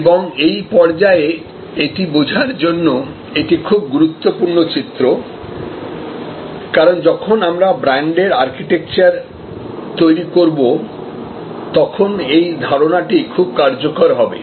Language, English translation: Bengali, And this is a very important diagram to understand at this stage, because when we create the brand architecture this concept will be very useful